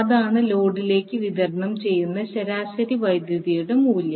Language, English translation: Malayalam, What is the average power delivered to the load